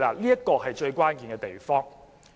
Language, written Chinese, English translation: Cantonese, 這是最關鍵的地方。, This is the critical point